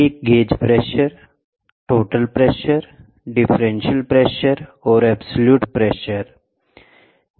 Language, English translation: Hindi, One is gauge pressure, total pressure, differential pressure and absolute pressure